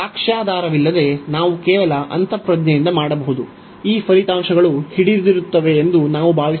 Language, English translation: Kannada, So, without the proof we can just by intuition, we can feel that these results hold